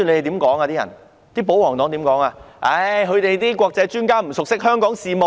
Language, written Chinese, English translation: Cantonese, 他們說那些國際專家不熟悉香港事務。, They said the foreign experts were not familiar with affairs in Hong Kong